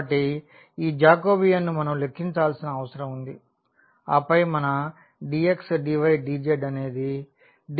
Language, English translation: Telugu, So, that Jacobian we need to compute and then our dx dy dz will become dr d theta and d phi